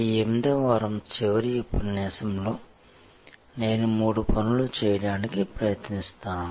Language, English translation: Telugu, In the last lecture of this 8th week, I am going to attempt to do three things